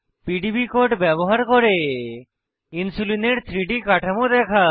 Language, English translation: Bengali, * View 3D structure of Insulin using PDB code